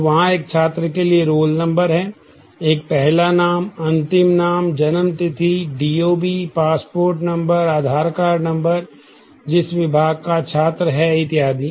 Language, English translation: Hindi, So, there is a roll number for a student, there is a first name last name, the date of birth; DOB, the passport number, the Aadhaar card number, the department to which the student belongs and so on